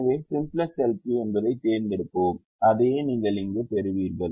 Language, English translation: Tamil, so select simplex l p and that is what you get here